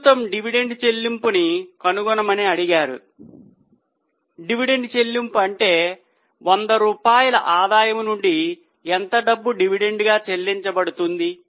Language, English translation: Telugu, What dividend payout means is from 100 rupees of earning how much money is being paid out as a dividend